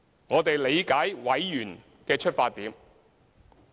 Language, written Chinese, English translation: Cantonese, 我理解委員的出發點。, I understand members concern